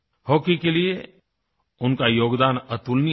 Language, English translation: Hindi, His contribution to hockey was unparalleled